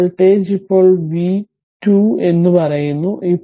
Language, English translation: Malayalam, So, this voltage is now say v 2 right